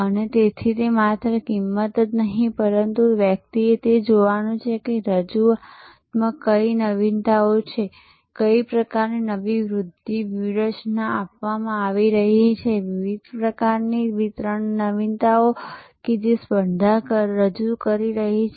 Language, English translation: Gujarati, And so it is not only the price, but one has to look at what are the innovations in the offering, what kind of new promotion strategies are being adopted, what are the different kinds of distribution innovations that the competition might be introducing